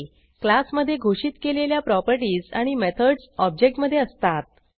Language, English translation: Marathi, An object will have the properties and methods defined in the class